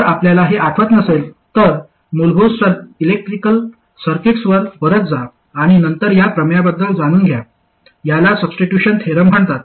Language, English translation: Marathi, If you don't recall this, go back to basic electrical circuits and then find out about this theorem